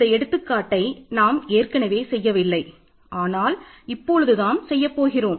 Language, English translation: Tamil, So, perhaps I did not do this example last time, but we are going to do this